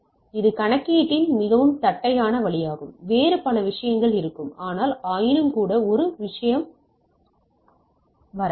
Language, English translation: Tamil, So, it is a very flat way of calculation, there will be lot of other consideration, but nevertheless we can have a come to a thing